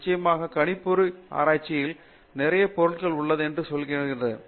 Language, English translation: Tamil, Of course, there is a lot of computational research that also goes on in materials